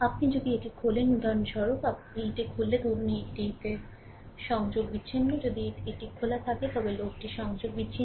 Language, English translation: Bengali, If you open this for example, if you open this, suppose this is disconnected, if it is open this then load is disconnected